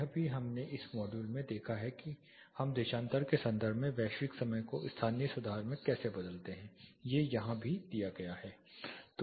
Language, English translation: Hindi, This also we saw in one of the modules how do we convert the global time to local correction in terms of longitude this is also given here straight and declination is given